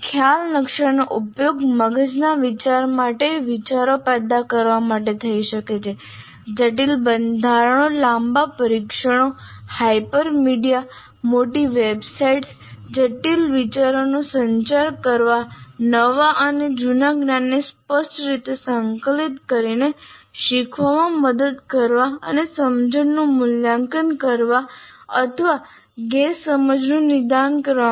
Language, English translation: Gujarati, Now, the concept maps can be used to generate ideas like for brainstorming, to design complex structures, long tests, hypermedia, large websites, to communicate complex ideas, to aid learning by explicitly integrating new and old knowledge and to assess understanding or diagnose misunderstanding